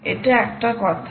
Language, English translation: Bengali, that was an issue